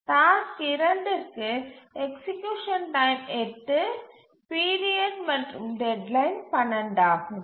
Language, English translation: Tamil, For task 2, the execution time is 8, the period and deadline are 12